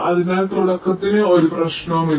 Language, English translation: Malayalam, so for the onset there is no problem